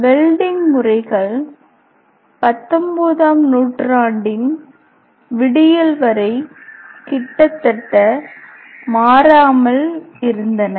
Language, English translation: Tamil, The welding method remains more or less unchanged until the dawn of 19th century